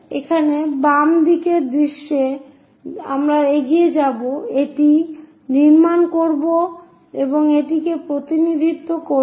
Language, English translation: Bengali, So, here left side view we will go ahead, construct that and represent that